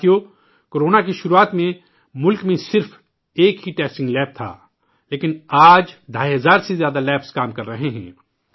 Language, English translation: Urdu, Friends, at the beginning of Corona, there was only one testing lab in the country, but today more than two and a half thousand labs are in operation